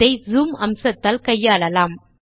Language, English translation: Tamil, You can solve this through the zoom feature